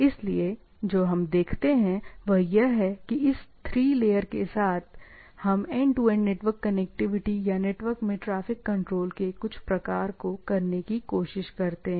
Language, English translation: Hindi, So, what we see that with this 3 layer, we try to have a end to end some network connectivity or some sort of a traffic control in the network, right